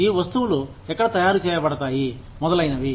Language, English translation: Telugu, Where are, these goods made, etcetera